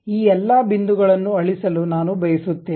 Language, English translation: Kannada, I would like to erase all these points